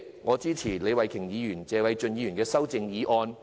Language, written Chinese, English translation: Cantonese, 我支持李慧琼議員及謝偉俊議員的修正案。, I support the amendments of Ms Starry LEE and Mr Paul TSE